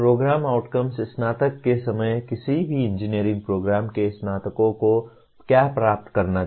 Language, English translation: Hindi, Program outcomes are what graduates of any engineering program should attain at the time of graduation